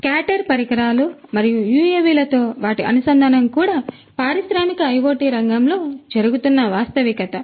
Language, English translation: Telugu, So, scatter devices and their integration with UAVs are also a reality that is happening in the industrial IoT sector